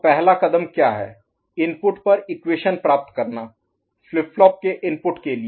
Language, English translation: Hindi, Getting the equation at the input of the for the input of the flip flops